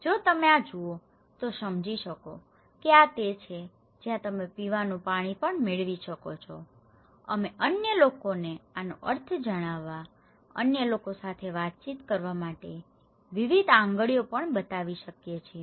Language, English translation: Gujarati, If you see this one, you can understand that this is where you can get drinking water also, we can show various fingers too to tell the meaning to others, communicate with others